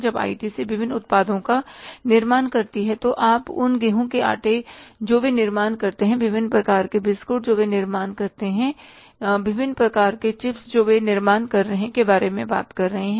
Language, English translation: Hindi, When the ITC manufactures as different products, you talk about the wheat flow they are manufacturing, different types of biscuits they are manufacturing, different types of chips they are manufacturing